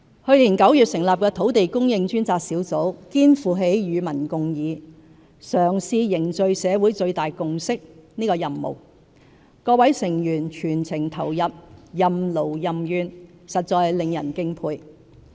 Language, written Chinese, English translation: Cantonese, 去年9月成立的土地供應專責小組肩負起與民共議，嘗試凝聚社會最大共識的任務，各成員全情投入，任勞任怨，實在令人敬佩。, The Task Force on Land Supply Task Force set up in September last year has shouldered the task of forging collaborative deliberation with the public in an attempt to build the greatest consensus in society . The full commitment and hard work of all members are highly respectable